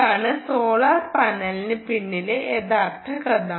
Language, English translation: Malayalam, thats thats the real story behind solar panel